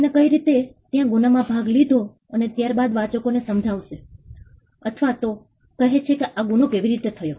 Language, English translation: Gujarati, The how he did it part is the crime is there and then somebody explains or tells the readers how this crime was done